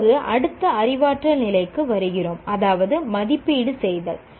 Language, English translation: Tamil, Now come, we come to the next cognitive level, namely evaluate